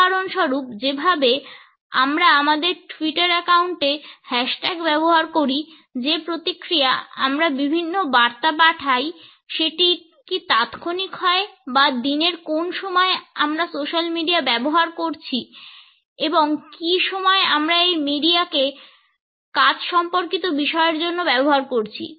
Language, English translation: Bengali, For example, the way we use hash tags on our Twitter account, the response which we send to different messages is delete or is it immediate, what is the time of the day during which we are using the social media and what is the time of the day in which we are using the media for our work related issues